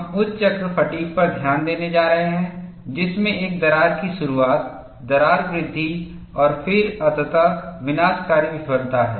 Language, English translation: Hindi, We are going to pay attention on high cycle fatigue, which has a crack initiation, crack growth, and then finally catastrophic failure